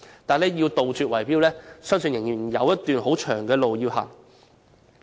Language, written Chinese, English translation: Cantonese, 但要杜絕圍標，我相信仍要走一段漫長的路。, But I believe there is still a long way to go before bid - rigging can be eradicated